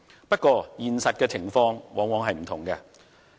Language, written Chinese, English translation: Cantonese, 不過，現實情況往往是不同的。, However the reality is often quite different